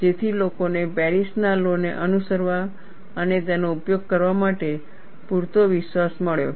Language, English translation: Gujarati, So, that provided enough confidence for people to follow and use the Paris law